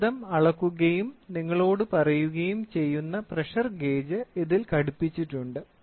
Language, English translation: Malayalam, So, here is a pressure gauge which measures and tells you